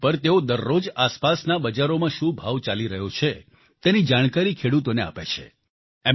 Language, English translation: Gujarati, On this group everyday he shares updates with the farmers on prevalent prices at neighboring Mandis in the area